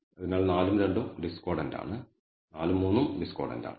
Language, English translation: Malayalam, So, 4 and 2 are discordant 4 and 3 are discordant